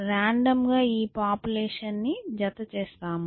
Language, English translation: Telugu, We randomly pair this population